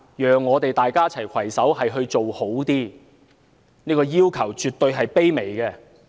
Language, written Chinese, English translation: Cantonese, 讓我們一起攜手做得更好，這個要求絕對是卑微的。, Let us all work together to do a better job; this is a very humble request